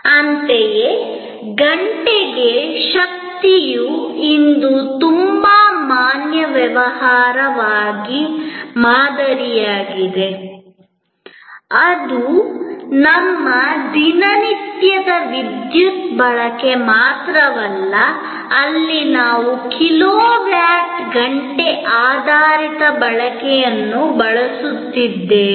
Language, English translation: Kannada, Similarly, power by hour is also very valid business model today, it is not only our regular everyday usage of electricity where we are using kilowatt hour based consumption